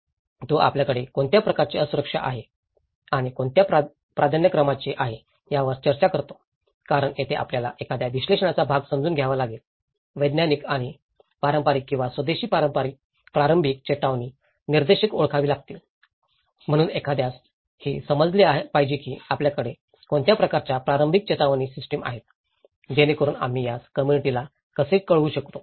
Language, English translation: Marathi, So, this is where, he talks about the what kind of degree of vulnerability we do have and what is the priorities because this is where you one has to understand the analysis part of it, identify the scientific and traditional or indigenous early warning indicators, so one has to understand that what kind of early warning systems we have, so that how we can inform these to the community